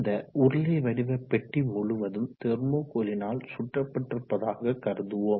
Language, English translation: Tamil, So now this cylindrical box is covered all round by thermocol let us say